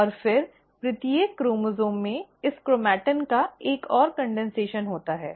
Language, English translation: Hindi, And then, each chromosome consists of a further condensation of this chromatin